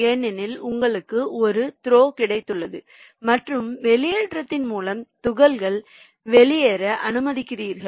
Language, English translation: Tamil, because you have got a throw and you are allowing the particles to go out of the system through the discharge